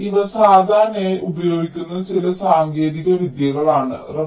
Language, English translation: Malayalam, ok, so these are some of the techniques which are usually used